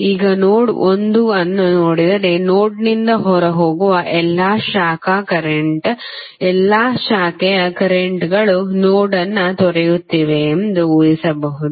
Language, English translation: Kannada, Now, if you see node 1 you can see you can assume that all branch current which are leaving the node you will assume that all branch currents are leaving the node